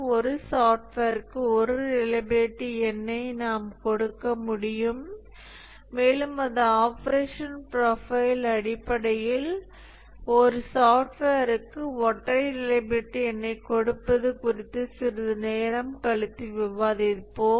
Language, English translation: Tamil, And therefore, based on the operational profile, we can give a single reliability number to a software and that we will discuss a little later how to go about giving a single reliability number to software based on its operational profile and we call that a statistical testing